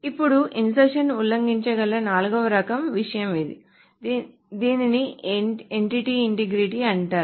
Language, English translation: Telugu, Then there is the fourth type of thing that insertion can violate which is called an entity integrity